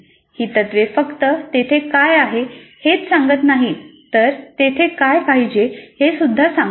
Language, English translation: Marathi, Just they do not only describe what is there but it tells what should be there